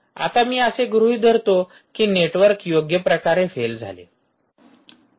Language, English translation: Marathi, now i assume that the network fails, right